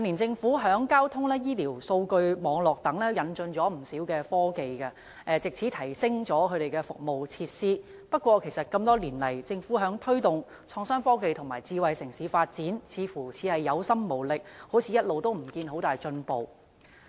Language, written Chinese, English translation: Cantonese, 政府近年在交通、醫療和數據網絡等方面引進不少科技，藉此提升了相關服務設施，但多年來，政府在推動創新科技和智慧城市的發展上，似乎是有心無力，一直也看不到有很大進步。, In recent years the Government has introduced quite many technologies into such areas as transport health care and data networks with a view to upgrading the relevant services and facilities . However it seems that the Government has the will to promote innovation technology and smart city development but lacks the strength for no substantial progress has been seen so far